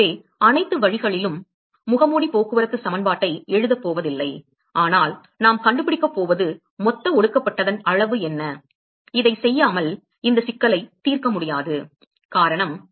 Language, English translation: Tamil, So, all the way not going to write mask transport equation, but what we are going to find is what is the total amount of condensate; without doing this we will not be able to solve this problem and the reason is